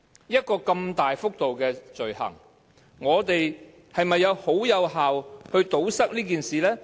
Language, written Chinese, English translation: Cantonese, 一項如此大幅度的罪行，我們是否有效地堵塞這種事情？, Have we taken any effective measures to curb such an extensive offence?